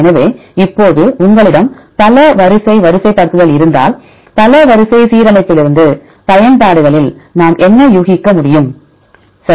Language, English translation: Tamil, So, now if you have a multiple sequence alignment, then what are the applications what can we infer from multiple sequence alignment; in this several applications right